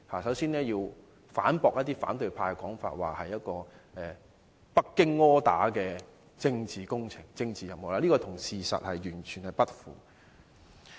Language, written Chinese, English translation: Cantonese, 首先，我要反駁一些反對派的說法，指這是由北京 order 的政治工程和任務，這完全與事實不符。, Before all else I wish to rebut the allegation of some Members of the opposition camp that this is a political project and mission ordered by Beijing . It does not tally with the fact at all